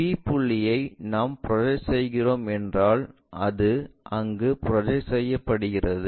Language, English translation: Tamil, If we are projecting this point p' it projects there and that goes all the way there